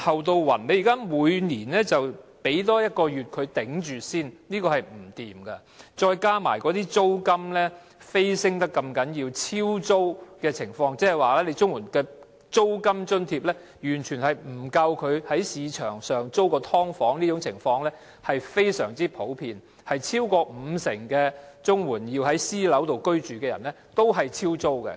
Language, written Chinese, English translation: Cantonese, 政府現在每年發放額外1個月的金額，讓他們勉強支撐生活，這是不行的；再加上租金飆升，"超租"的情況，亦即綜援的租金津貼完全不足夠在市場上租住"劏房"的情況非常普遍，超過五成領取綜援而要在私樓居住的人都是"超租"的。, That the Government provides an additional one - month payment annually for them to barely make ends meet is not going to work . Added to this are the surging rental and the prevalence of the situation of over rent which means that the rent allowance under CSSA is not adequate to meet the rent for a subdivided unit in the market as over 50 % of the CSSA recipients who live in private flats are paying rent in excess of the rent allowance